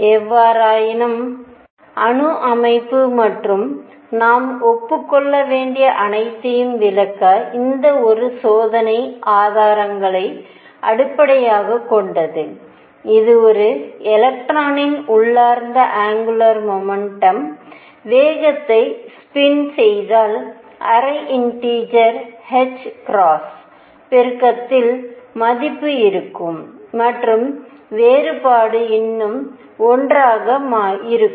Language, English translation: Tamil, However to explain atomic structure and all that we had to admit and this is based on experimental evidence, that spin the intrinsic angular momentum of an electron would have the value of half integer multiple of h cross, and the difference would still be 1